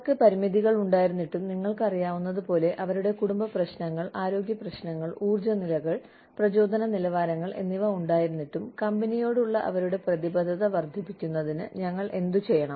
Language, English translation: Malayalam, Despite their limitations, as you know, despite their family issues, health issues, energy levels, motivation levels, what should we do, in in order to, enhance their commitment, to the company